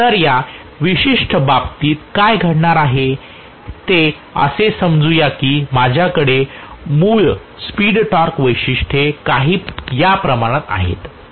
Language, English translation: Marathi, So what is going to happen in this particular case is let us say I have the original speed torque characteristics somewhat like this